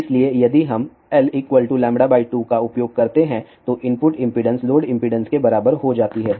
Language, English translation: Hindi, So, if we use L equal to lambda by 2 then input impedance becomes equal to load impedance